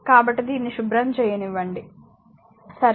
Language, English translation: Telugu, So, let me clean this one, right